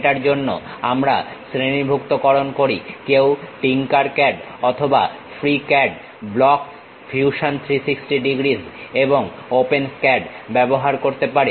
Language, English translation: Bengali, For that we are categorizing TinkerCAD one can use, or FreeCAD, Blocks, Fusion 360 degrees and OpenSCAD